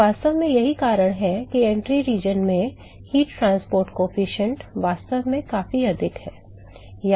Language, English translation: Hindi, So in fact, this is the reason why the heat transport coefficient is actually significantly higher in the entry region